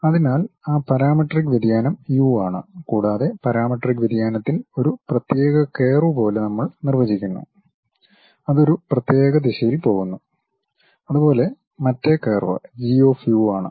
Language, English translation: Malayalam, So, that parametric variation is u and on the parametric variation we are defining something like a curve it goes along that the specialized direction and other curve is G of u